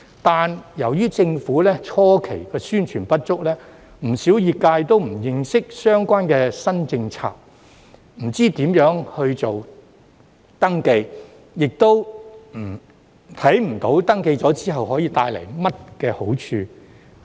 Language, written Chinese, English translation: Cantonese, 但是，由於政府的初期宣傳工作不足，不少業界也不認識相關的新政策，不知如何登記，亦看不到登記之後有何好處。, However due to the Governments insufficient publicity efforts at the initial stage quite a number of members of these sectors have no idea about this new policy and how to register and fail to see the benefits of registration